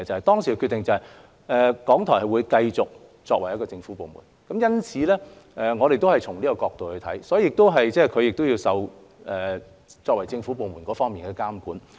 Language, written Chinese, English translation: Cantonese, 當時的決定是，港台會繼續作為一個政府部門，因此我們也是從這角度來看，港台亦要受到作為政府部門相關的監管。, The decision at that time was that RTHK would continue to be a government department . Therefore judging from this perspective we also believe that RTHK should be subject to supervision in relation to its identity as a government department